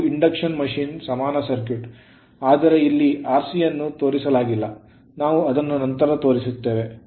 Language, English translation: Kannada, So, this is your what you call induction machine equivalent circuit, but r c is not shown here we will show it